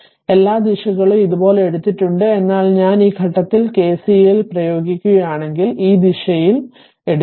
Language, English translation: Malayalam, All the direction is taken like this, but if I if you apply KCLs at this point you take and this direction in this direction the current this